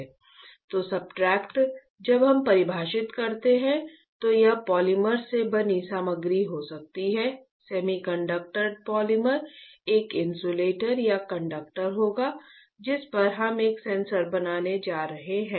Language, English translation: Hindi, So, substrates when we define it can be a material made up of polymer; semiconductor polymer will be an insulator or a conductor on which we are going to fabricate a sensor alright